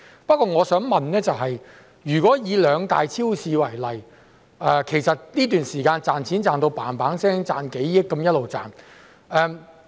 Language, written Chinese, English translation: Cantonese, 不過我想問，以兩大超市為例，它們在這段時間不斷賺錢，賺了上億元。, But I wish to raise a question about the two major supermarket chains which have been making handsome profits in hundreds of millions of dollars over this period of time